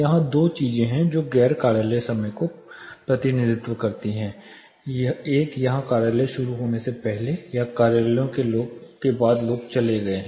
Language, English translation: Hindi, There are two things here this represents the non office hours, the one here before the office started or after the offices people have left